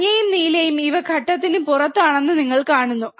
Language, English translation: Malayalam, You see yellow and blue these are out of phase